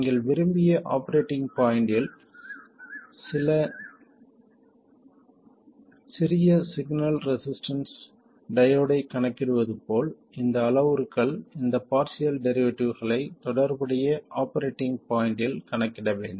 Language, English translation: Tamil, So just like you calculate the small signal resistance of a diode at the desired operating point, you have to calculate all these parameters, these partial derivatives, at the relevant operating point